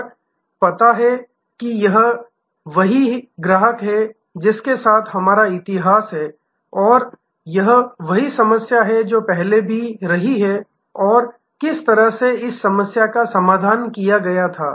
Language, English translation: Hindi, And know, that it is the same customer and this is our history with this customer, this is what the problem that has been there before and that is how this problem was resolved